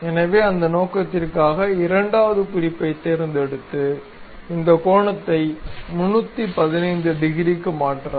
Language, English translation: Tamil, So, for that purpose, pick second reference and change this angle to something 315 degrees